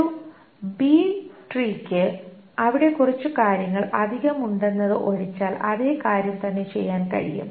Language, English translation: Malayalam, For a B tree the same thing can be done except there is something more